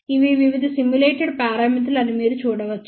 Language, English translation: Telugu, You can see that these are the various simulated parameters